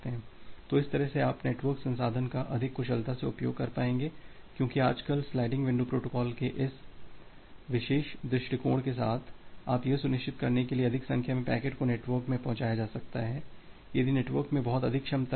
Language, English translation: Hindi, So, that way, you will be able to utilize the network resource more efficiently because nowadays, now with this particular approach of sliding window protocol, you will be ensuring that more number of packets can be pushed to the network if the network has that much of capacity